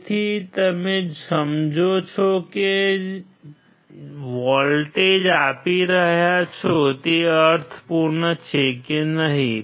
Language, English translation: Gujarati, So, you understand whether the voltage that you are applying make sense or not